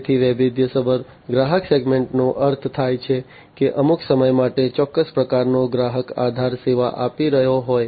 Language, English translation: Gujarati, So, diversified customer segment means like you know a particular business might be serving, a particular type of customer base for some time